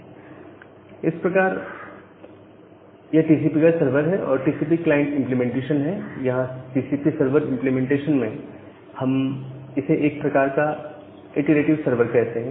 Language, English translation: Hindi, Now, this is a kind of TCP server and a TCP client implementation, where in the TCP server implementation, we call it a kind of iterative server why we call it a iterative sever